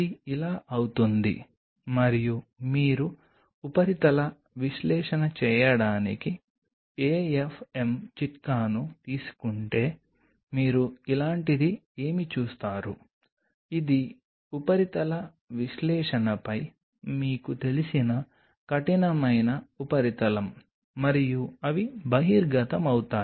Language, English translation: Telugu, It something become like this and if you take the AFM tip to do a surface analysis then what you will see something like this, it is a very kind of you know rough surface, upon surface analysis and they are exposed